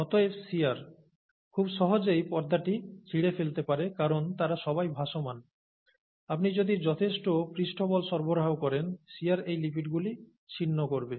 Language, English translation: Bengali, Therefore shear, you know, can easily, can quite easily tear the membrane apart because they are all floating around, okay, you provide enough surface force, the shear is going to tear apart these lipids